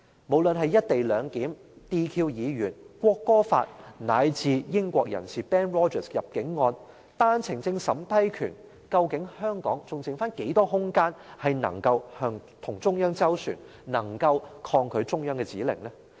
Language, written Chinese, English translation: Cantonese, 無論是"一地兩檢"、撤銷議員資格、《國歌法》，乃至英國人士 Benedict ROGERS 入境案，以及單程證審批權，究竟香港還餘下多少空間能夠與中央斡旋，能夠抗拒中央的指令？, No matter in the implementation of the co - location arrangement in disqualifying some Legislative Council Members in the enactment of a local national anthem law in disallowing Benedict ROGERS a British to enter Hong Kong or in the power of vetting and approving applications for One - way Permit how much room is still left for Hong Kong to negotiate with the central authorities and to defy the central authorities instructions?